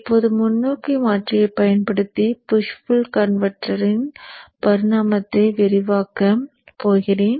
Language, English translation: Tamil, Now I am going to describe the evolution of the push pull converter using the forward converter